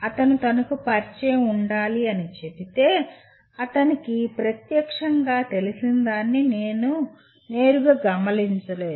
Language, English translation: Telugu, If he merely say he should be familiar with I cannot directly observe what he is familiar with directly